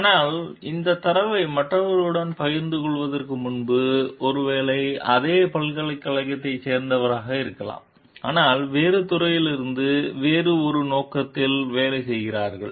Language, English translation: Tamil, But before sharing this data with others like, maybe of the same university, but from a different department, working on something a different purpose